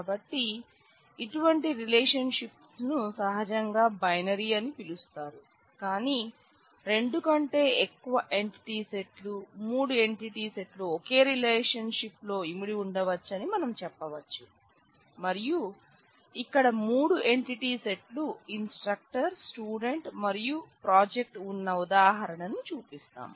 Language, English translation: Telugu, So, such relationships are naturally called binary, but it is possible that more than two entity sets, let us say three entity sets could be involved in the same relation and we show an example here where we have three entity sets instructor, student and project